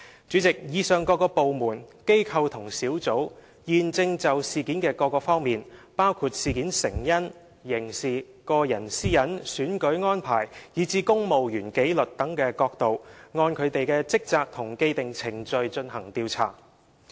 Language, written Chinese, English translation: Cantonese, 主席，以上各部門、機構和專責小組現時正就事件的各方面，包括成因、刑事、個人私隱、選舉安排，以至公務員紀律等角度，均各按其職權和既定程序進行調查。, President the departments organizations and Task Force mentioned above are now investigating the various aspects of the incident including causes criminality privacy election arrangements and civil service discipline in accordance with their own powers and functions as well as established procedures